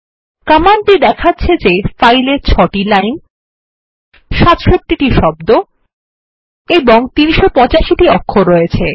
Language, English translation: Bengali, These command points out that the file has 6 lines, 67 words and 385 characters